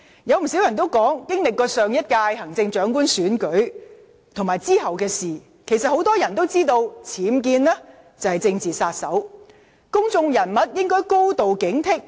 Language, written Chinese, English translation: Cantonese, 有不少人指出，經歷過上屆行政長官選舉後，很多人也知道僭建是"政治殺手"，公眾人物應該高度警惕。, According to number of people in the wake of the last Chief Executive election many people should have realized that the UBWs issue is a killer of ones political career and public figures should have become highly alert